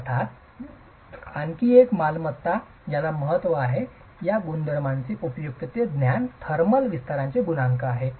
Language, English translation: Marathi, Of course, another property that is of importance and knowledge of this property is useful is a coefficient of thermal expansion